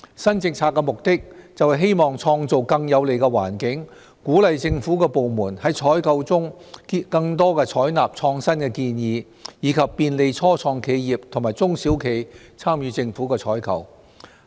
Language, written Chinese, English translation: Cantonese, 新政策的目的，是希望創造更有利的環境，鼓勵政府部門在採購中更多採納創新建議，以及便利初創企業和中小企參與政府採購。, The purpose of the new policy is to create a more favourable environment to encourage government departments to adopt more pro - innovation proposals in the procurement process and facilitate the participation of start - ups and small and medium - sized enterprises SMEs in government procurement